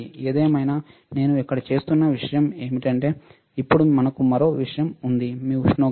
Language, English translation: Telugu, But anyway, the point that I am making here is, now we have one more thing which is your temperature